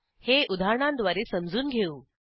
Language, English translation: Marathi, Let us understand this with an example